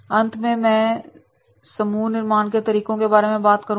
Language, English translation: Hindi, Finally, I would like to talk about the group building methods